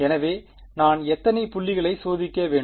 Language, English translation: Tamil, So, how many points should I tested